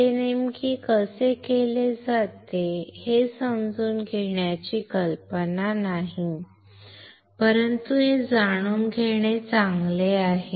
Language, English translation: Marathi, The idea is not to really to understand how exactly it is done, but it is good to know